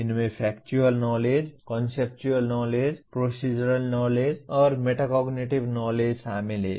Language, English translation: Hindi, These include Factual Knowledge, Conceptual Knowledge, Procedural Knowledge, and Metacognitive Knowledge